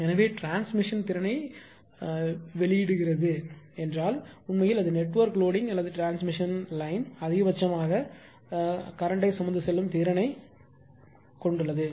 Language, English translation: Tamil, So, that is why it release transmission capacity means actually it is basically that network loading or transmission line maximum carrying current carrying capacity whatever it has